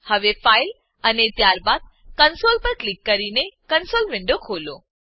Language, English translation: Gujarati, Now open the console window by clicking on File and then on Console